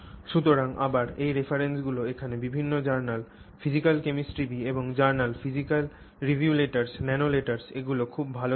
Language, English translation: Bengali, So, again these references are here, different journals here, journal of physical chemistry B, physical review letters